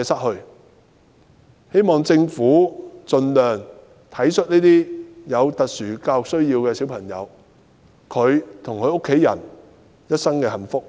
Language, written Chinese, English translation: Cantonese, 我希望政府盡量體恤這些有特殊教育需要的小朋友，照顧他們和家人一生的幸福。, I hope that the Government will endeavour to give sympathetic consideration to children with SEN and take care of their and their familys lifelong well - being